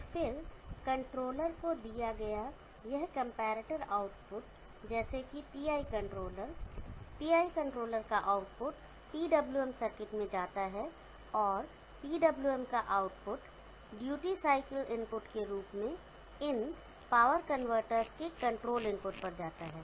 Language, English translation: Hindi, And then this comparator output given to controller lets a PI controller, output of the PI controller goes to a PWM circuit and output of the PWM goes as duty cycle input to the control input to this power convertors, such that the duty cycle is change such that this V0 will match V0 in the steady state